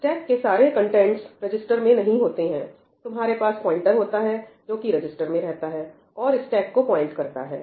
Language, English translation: Hindi, All the contents of the stack are not in the registers, you just have a pointer to the stack which is kept in the register